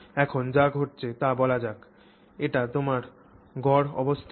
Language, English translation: Bengali, So, what is happening is let's say this is your mean position